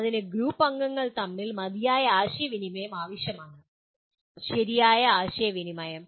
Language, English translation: Malayalam, That requires adequate communication between the group members, the right kind of communication